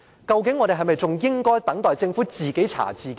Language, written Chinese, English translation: Cantonese, 究竟我們應否等待政府自己查自己呢？, Should we wait until the Government to look into its inadequacies by itself?